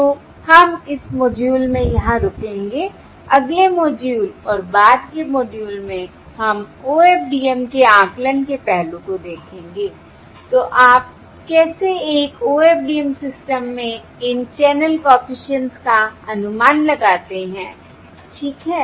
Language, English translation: Hindi, Alright, So we will uh stop here in this module and in the next module, subsequent modules, we will look at the estimation aspect of OFDM, that is, how do you estimate these channel coefficients in an OFDM system